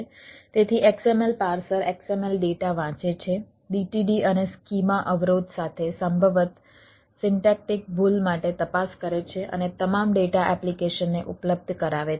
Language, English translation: Gujarati, so xml parser reads in xml data, checks for syntactic, possibly with dtd and schema constraint, and makes all data available to an application